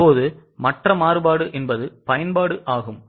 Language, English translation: Tamil, Now, the other variance is usage